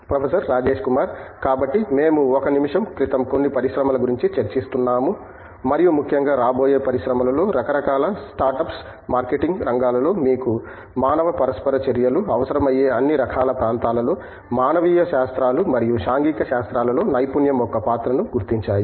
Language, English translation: Telugu, So, what we were discussing a minute ago certain industries and in particular upcoming industries work kind of startups are realizing the roll of expertise in humanities and social sciences in the areas of marketing, in the areas of, in all kinds of area where you need human interactions